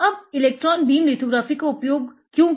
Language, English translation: Hindi, Now, why electron beam lithography